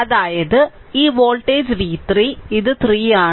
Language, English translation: Malayalam, So, this voltage is v 3 right